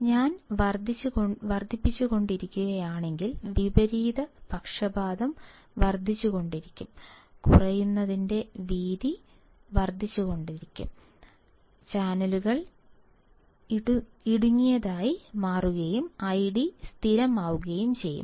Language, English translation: Malayalam, If I keep on increasing, then the reverse bias will keep on increasing, width of depletion will keep on increasing and channels becomes narrower and I D becomes constant